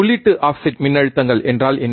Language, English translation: Tamil, What are input offset voltages